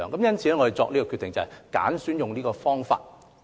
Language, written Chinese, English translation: Cantonese, 因此，我們決定執行這個方法。, Therefore we decided to implement it